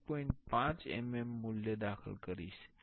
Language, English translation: Gujarati, 5 mm value here